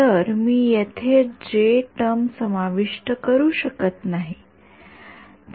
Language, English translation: Marathi, So, I cannot include a J term over here